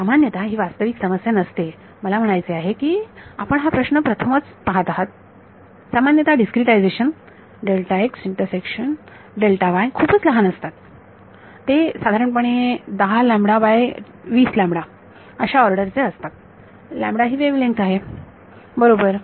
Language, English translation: Marathi, Now, typically this turns out to not be a real issue, I mean because you are seeing it for the first time this question comes up the discretizations delta x and delta y typically they are so small, there on the order of lambda by 10 lambda by 20, where the wavelength is lambda right